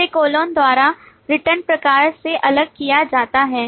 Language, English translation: Hindi, after that It is separated by colon from the return type